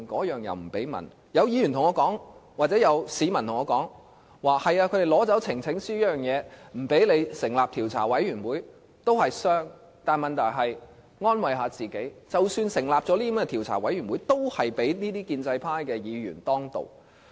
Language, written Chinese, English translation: Cantonese, 有市民告訴我，如果他們不讓我們透過提交呈請書成立調查委員會，雖然也會造成傷害，但可以安慰自己，即使成立了調查委員會，也會被建制派議員當道。, Some have told me that even though it will cause damage if they succeed in barring us from forming select committees through the presentation of petitions we can comfort ourselves by saying that even if a select committee is formed it will still be dominated by pro - establishment Members